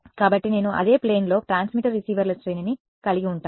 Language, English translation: Telugu, So, then I will have an array of transmitters receivers in the same plane right